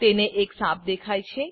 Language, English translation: Gujarati, He spots a snake